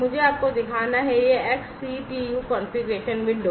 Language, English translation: Hindi, let me show you, this XCTU configuration windows